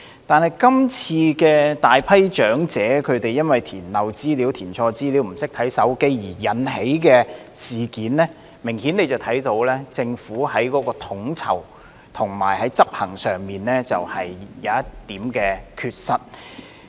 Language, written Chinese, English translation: Cantonese, 但是，從今次大批長者填漏資料、填錯資料或不懂使用手機而引起的事件，明顯看到政府在統籌及執行上有一點缺失。, However as shown by this incident arising from a large number of elderly people having omitted to fill in information having filled in erroneous information or not knowing how to use mobile phones it is obvious that there are flaws in the Governments coordination and implementation